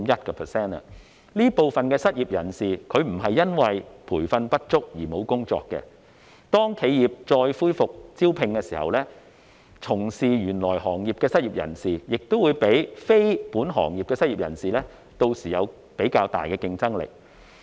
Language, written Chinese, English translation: Cantonese, 這部分失業人士不是因為培訓不足而沒有工作，當企業再恢復招聘時，從事原行業的失業人士應會較非本行業的失業人士有較大的競爭力。, These unemployed people are jobless not because of a lack of training . When businesses resume recruitment an unemployed person seeking to engage in his original occupation should be more competitive than one seeking to engage in another occupation